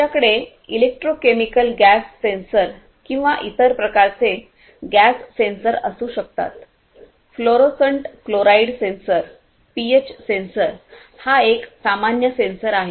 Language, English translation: Marathi, We could have you know electrochemical electro chemical gas sensors or different other types of gas sensors also, fluorescent chloride sensors, fluorescent chloride sensors pH sensor is a very common one